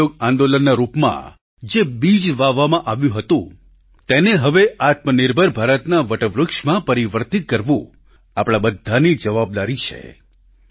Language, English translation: Gujarati, A seed that was sown in the form of the Noncooperation movement, it is now the responsibility of all of us to transform it into banyan tree of selfreliant India